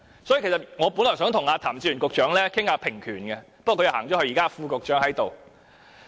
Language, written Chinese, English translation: Cantonese, 所以，其實我本來想與譚志源局長討論平權，不過他離開了會議廳，只有副局長在席。, Therefore in fact I originally want to discuss with Secretary Raymond TAM about equal rights but he has just left the Chamber and only the Under Secretary is in the Chamber